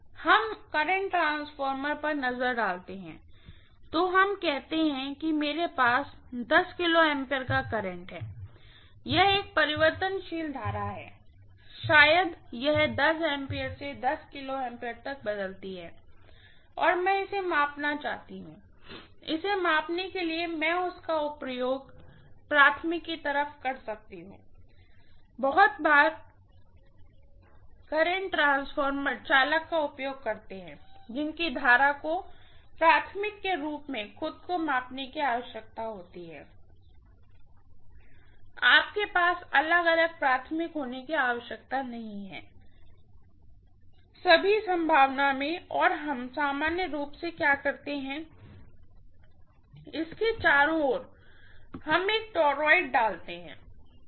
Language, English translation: Hindi, Let us look at the current transformer, so let us say I have 1, 10 kilo ampere of current, it is a variable current, maybe it changes from 10 amperes to 10 kilo ampere and I want to measure this, for measuring this I can use this itself as the primary, very often current transformers use the conductor whose current needs to be measured itself as the primary, you do not have to have a separate primary at all, in all probability and what we normally do is